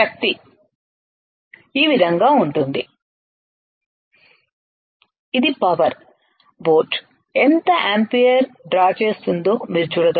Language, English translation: Telugu, Is the power here you can see the how much ampere the boat is drawing alright